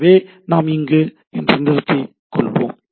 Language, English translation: Tamil, So, we will let us stop here